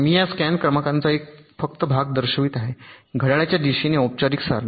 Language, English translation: Marathi, i am showing only a part of this scan sequence in the formal table with the clockwise